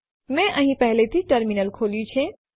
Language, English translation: Gujarati, I have already invoked the Terminal here